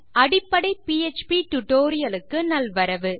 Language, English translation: Tamil, Hi and welcome to a basic PHP tutorial